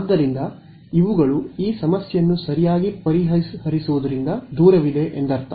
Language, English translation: Kannada, So, these are I mean this problem is far from being solved right